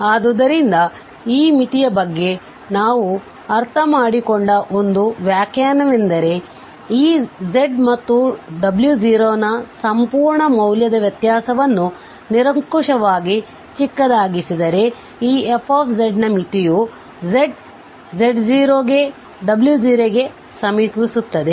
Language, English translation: Kannada, So, that was the one definition we understood about the limit that if the difference of the absolute value this f z and w naught can be made arbitrarily small then we call that the limit of this f z as z approaches to z naught approaches to w naught